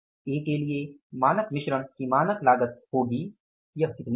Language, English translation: Hindi, So it is the standard cost of revised standard mix is going to be how much